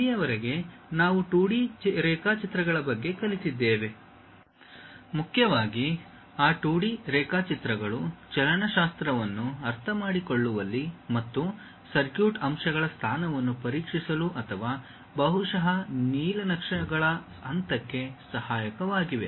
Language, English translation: Kannada, Till now we have learned about 2D drawings, mainly those 2D drawings are helpful in terms of understanding kinematics and to check position of circuit elements or perhaps for the point of blueprints